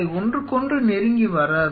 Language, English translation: Tamil, They will not be coming close to each other